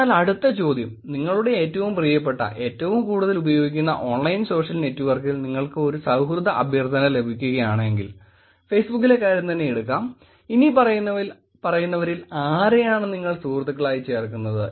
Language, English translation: Malayalam, So the next question, if you receive a friendship request on your most favourite, most frequently used online social network, which in case let us keep the Facebook, which of the following people will you add as friends